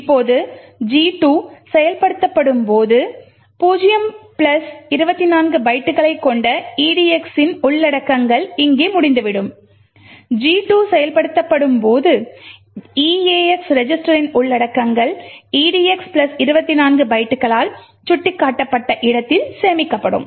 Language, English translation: Tamil, Now when gadget 2 gets executed, the contents of edx which is 0 plus 24 bytes which happens to be over here when the gadget 2 gets executed the contents of the eax register is stored in the location pointed to by edx plus 24 bytes